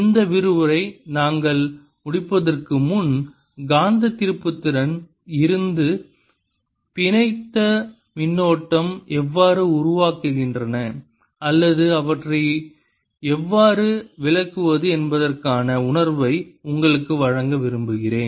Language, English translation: Tamil, before we end this lecture, i want to give you a feeling for how the bound currents arise out of magnetic moments, or how we can interpret them